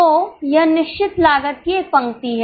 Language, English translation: Hindi, So, this is a line of fixed cost